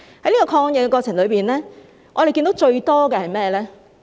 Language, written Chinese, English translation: Cantonese, 在抗疫過程中，我們看到最多的是甚麼？, In the course of fighting the virus what could we often see?